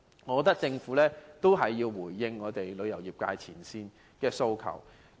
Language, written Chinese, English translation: Cantonese, 我認為政府必須回應業界前線從業員的訴求。, In my opinion the Government must respond to the aspirations of frontline practitioner in the industry